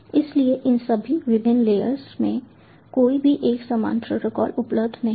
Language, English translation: Hindi, so no common protocol is available across all these different layers